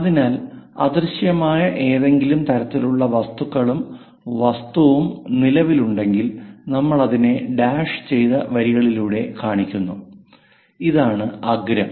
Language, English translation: Malayalam, So, any invisible kind of things and the object is present, we show it by dashed lines, and this is the apex